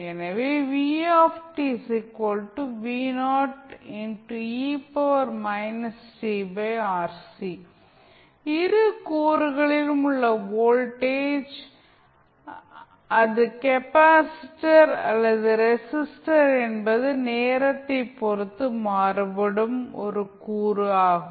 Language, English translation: Tamil, so, here you will see that, the voltage across both of the components whether it is capacitor or resistor is are time varying component